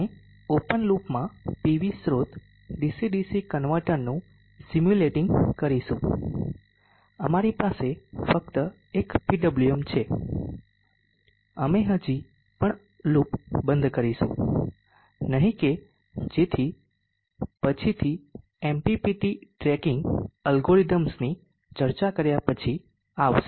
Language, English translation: Gujarati, We shall simulate the PV source dc dc converter in open loop we just have a PWM, we shall not close the loop which we will come to later after having discuss the MBPT tracking algorithms